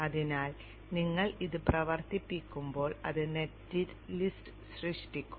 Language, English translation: Malayalam, So when you run this, it will generate the net list